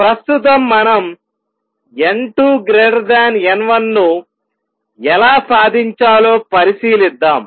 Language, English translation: Telugu, Right now, let us consider how do we achieve n 2 greater than n 1